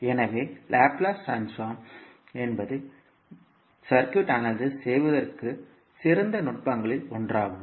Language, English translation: Tamil, So, the Laplace transform is considered to be one of the best technique for analyzing a electrical circuit